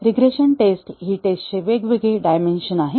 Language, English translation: Marathi, Regression testing is a different dimension of testing